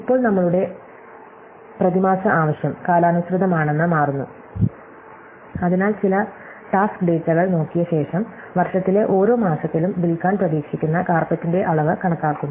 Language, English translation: Malayalam, Now, it turns out that our monthly demand is seasonal, so after looking at some task data we are made an estimate of the amount of carpets at we can expect to sell in each month of the year